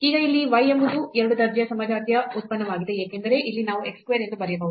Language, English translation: Kannada, And, now this z here is a function of is a homogeneous function of order 2 because here we can write down as x square